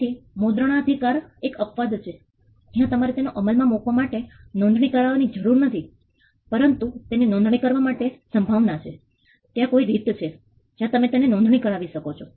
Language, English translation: Gujarati, So, copyright is an exception where you need not need to register it for enforcing it, but registration this there is a possibility there is a way in which you can register it